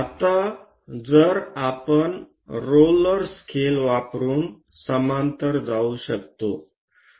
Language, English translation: Marathi, Now we can use roller scaler if it can pass parallel to that